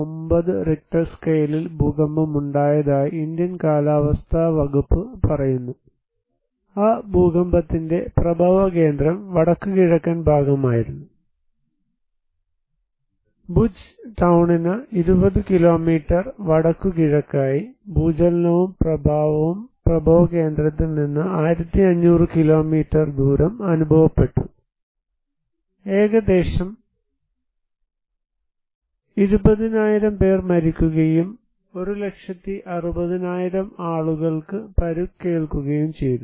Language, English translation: Malayalam, 9 Richter scale, according to Indian Meteorological Department, the epicenter of that earthquake was northeast; 20 kilometres northeast of the Bhuj town, and the tremor and the effect was felt 1500 kilometer radius from the epicenter, and approximately 20,000 people were died and another 1, 60,000 people were injured